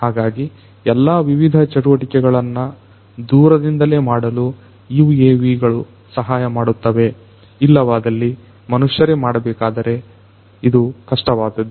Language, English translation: Kannada, So, UAVs can come as a helping hand to do all these different activities remotely, which would be otherwise difficult to be done by human beings